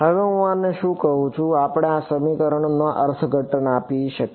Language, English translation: Gujarati, Now, what am I can we give a interpretation to this equation